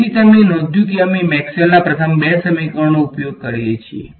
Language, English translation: Gujarati, So, you notice that we use the first two equations of Maxwell right